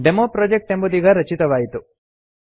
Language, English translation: Kannada, DemoProject has been created